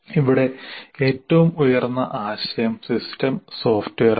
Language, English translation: Malayalam, We have here the highest concept is system software